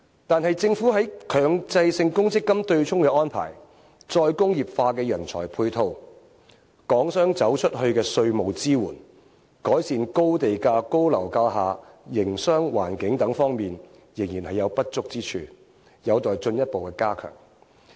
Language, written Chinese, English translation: Cantonese, 但是，政府在強制性公積金對沖的安排、再工業化的人才配套、港商走出去的稅務支援、改善高地價高樓價下營商環境等方面，仍然有不足之處，有待進一步加強。, However there is room for improvement in terms of measures concerning offsetting arrangement under the Mandatory Provident Fund MPF Scheme corresponding manpower resources for re - industrialization tax support for enterprises expanding outside Hong Kong and improvement in business environment under expensive land premiums and high property prices and so on